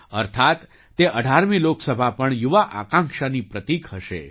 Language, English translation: Gujarati, That means this 18th Lok Sabha will also be a symbol of youth aspiration